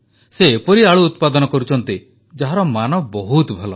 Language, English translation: Odia, He is growing potatoes that are of very high quality